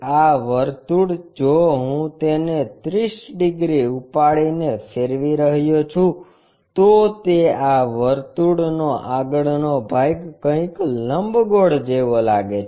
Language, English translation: Gujarati, This circle, if I am rotating it lifting it by 30 degrees, this frontal portion circle turns out to be something like elliptical kind of shape